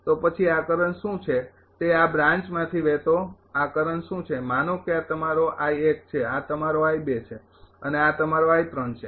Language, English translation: Gujarati, So, then what is this current what is this current flowing through this branch suppose this is your I 1, this is your I 2, and this is your I 3